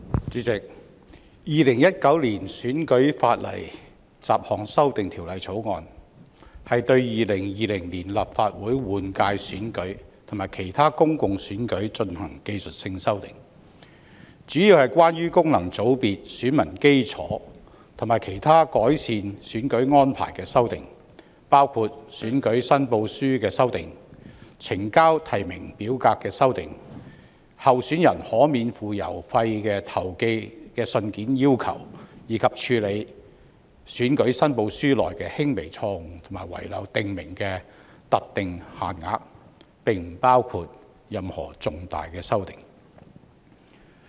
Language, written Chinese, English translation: Cantonese, 主席，《2019年選舉法例條例草案》是對2020年立法會換屆選舉及其他公共選舉進行技術性修訂，主要是關於功能界別選民基礎及其他改善選舉安排的修訂，包括選舉申報書的修訂、呈交提名表格的修訂、候選人可免付郵資投寄信件的尺碼規定，以及處理選舉申報書內的輕微錯誤或遺漏訂明的特定限額，並不包括任何重大修訂。, President the Electoral Legislation Bill 2019 the Bill seeks to introduce technical amendments for the 2020 Legislative Council General Election and other public elections mainly amendments concerning the electorate of functional constituencies FCs and other amendments to improve electoral arrangements including revisions concerning election returns revising the way of submitting the nomination forms requirements concerning the size of letters that may be sent free of postage by candidates and the limits prescribed for rectifying minor errors or omissions in election returns . There are no substantial amendments